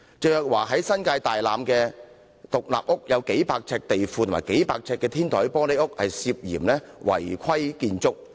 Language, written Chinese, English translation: Cantonese, 鄭若驊位於新界大欖的獨立屋，有數百平方呎的地庫及數百平方呎的天台玻璃屋涉嫌是違規建築物。, The alleged UBWs in Teresa CHENGs house in Tai Lam New Territories include a basement and a rooftop glass house each occupies a few hundred square feet